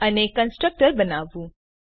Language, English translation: Gujarati, And to create a constructor